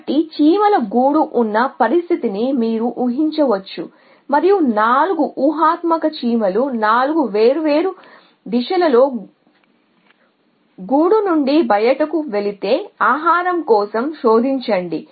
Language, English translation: Telugu, So you can imaging the situation where there is an ant nest and that is if 4 hypothetical ants go of in 4 different direction in such of a food